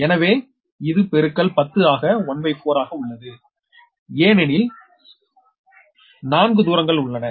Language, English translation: Tamil, so it is into ten to the power, one by four, because four distances are there